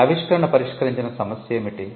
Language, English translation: Telugu, What was the problem that the invention solved